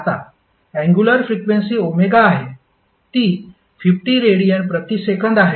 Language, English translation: Marathi, Now angular frequency that is omega you will get equal to 50 radiance per second